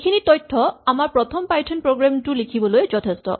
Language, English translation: Assamese, This already gives us enough information to write our first python program